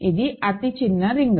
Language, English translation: Telugu, It is the smallest ring